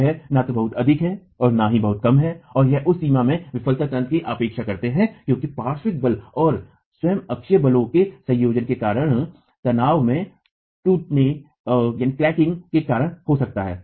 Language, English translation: Hindi, It is neither too high nor too low and we expect the failure mechanism in that range to be because of the formation of tensile cracking due to the combination of lateral force and the axial force itself